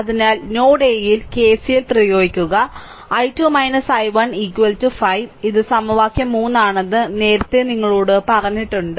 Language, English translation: Malayalam, So, apply KCL at node A, I told you earlier that i 2 minus i 1 is equal to 5 this is equation 3 right